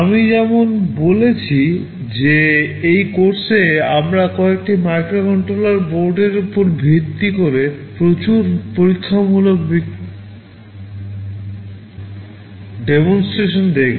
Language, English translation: Bengali, As I said that in this course we shall be looking at a lot of experimental demonstrations based on some microcontroller boards